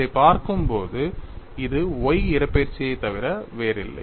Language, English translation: Tamil, It is definitely solved; when you look at this, this is nothing but the y displacement